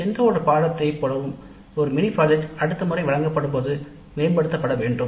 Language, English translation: Tamil, Like any other course a mini project also needs to be improved next time it is offered